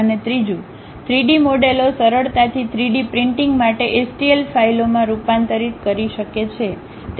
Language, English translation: Gujarati, And the third one, the 3D models can readily converted into STL files for 3D printing